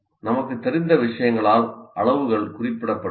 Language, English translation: Tamil, And here sizes are represented by some of the things that we are familiar with